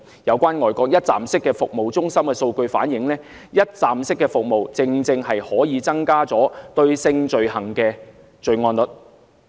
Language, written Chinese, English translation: Cantonese, 有關外國一站式服務中心的數據反映，一站式服務正正可以增加性罪行的報案率。, The figures of some one - stop crisis service centres overseas show that one - stop crisis service can help boost the sex crime reporting rate